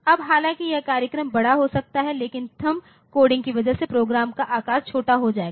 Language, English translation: Hindi, Now, though it is the program may be large, but because of this coding the THUMB coding the program size will be small, ok